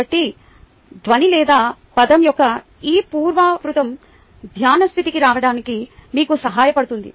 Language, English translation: Telugu, ok, so this repetition of sound or word helps you to get into the meditative state